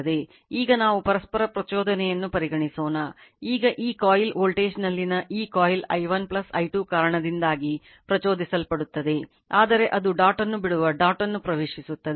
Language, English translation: Kannada, Now let us consider the mutual inductance, now it will be this coil in this coil voltage will be induced due to i 1 plus i 2, but it is by entering the dot leaving the dot